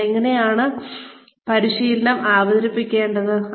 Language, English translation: Malayalam, How do we present the training